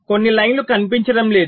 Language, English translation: Telugu, ah, some of the lines are not showing up